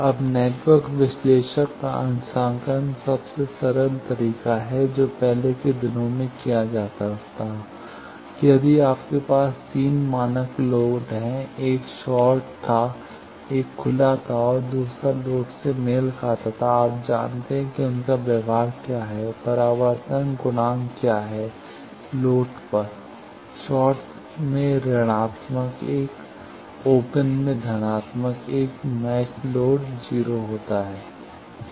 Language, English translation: Hindi, Now, calibration of network analyser the simplest way which in earlier days used to be done that if you have 3 standard loads one was short, one was open, another is matched load, you know that what is their behavior, what is there reflection coefficient at the loads, short will have a minus 1 open will have a plus 1 matched load will have a 0